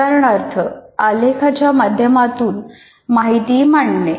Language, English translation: Marathi, For example, presenting information in a graphic form